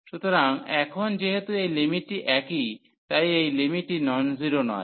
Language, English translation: Bengali, So, now since this limit is same this limit is a non zero number